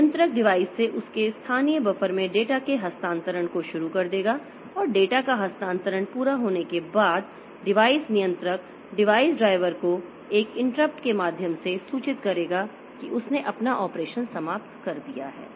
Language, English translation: Hindi, The controller will start the transfer of data from the device to its local buffer and once the transfer of the data is complete the device controller will inform the device driver via an interrupt that the that it has finished its operation